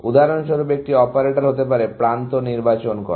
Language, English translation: Bengali, One operator could be the choosing an edge, for example